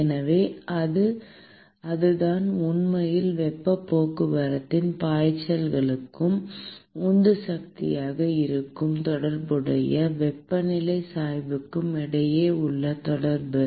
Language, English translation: Tamil, So, that is what is actually relation between the flux of heat transport and the corresponding temperature gradient which is the driving force